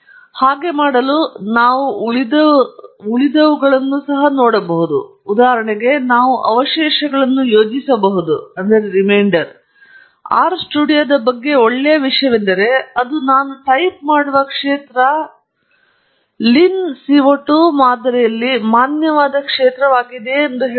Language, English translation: Kannada, Now, to do that, we can look at the residuals; for example, we could plot the residuals; the nice thing about R studio is it tells you whether the field that I am typing is a valid field in the lin CO 2 model